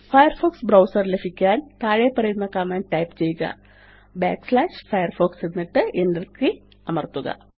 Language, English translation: Malayalam, To launch the Firefox browser, type the following command./firefox And press the Enter key